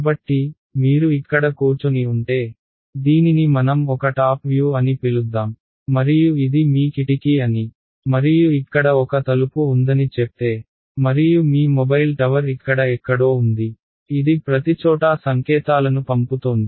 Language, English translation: Telugu, So, let us say you are sitting over here right, so this let us call this a top view and this is your let say this is a window and let us say there is a door over here and your mobile tower is somewhere over here right which is sending out signals everywhere